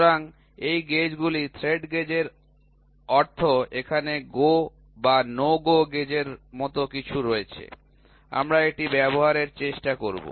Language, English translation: Bengali, So, these gauges, thread gauges means here it is something like a Go or No Go gauge we will try to use it